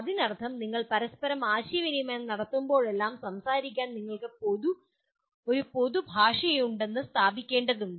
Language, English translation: Malayalam, That means whenever you are communicating with each other first thing that you have to establish that you have a common language to speak